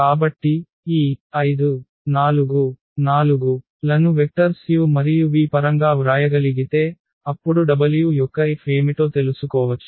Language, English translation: Telugu, So, if we can write down this 5 4 4 in terms of the vectors u and v then we can find out what is the F of w